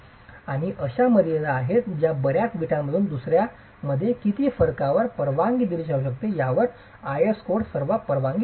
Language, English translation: Marathi, And there are limits that codes typically allow on how much variation is allowed from one brick to another within a lot